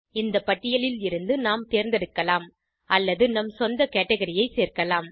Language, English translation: Tamil, We can select from the list or add our own category